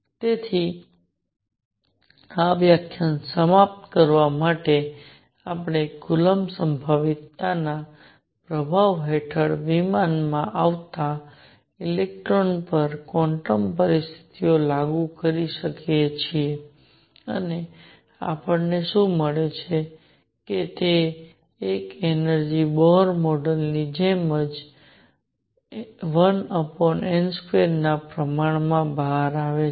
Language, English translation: Gujarati, So, to conclude this lecture, we have applied quantum conditions to an electron moving in a plane under the influence of coulomb potential and what do we find one energy comes out to be proportional to 1 over n square same as the Bohr model